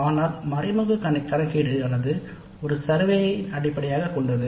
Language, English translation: Tamil, And the indirect computation would be based on a survey